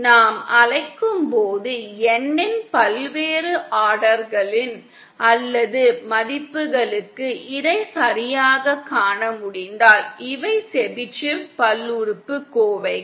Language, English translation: Tamil, If we can see it properly for various orders or values of N as we call, these are the Chebyshev polynomials